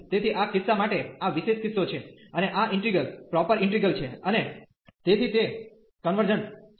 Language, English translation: Gujarati, So, for this case this is special case and this integral is proper and hence it is convergent